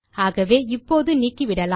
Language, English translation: Tamil, So lets just delete these